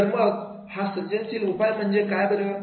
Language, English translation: Marathi, What should be the creative solution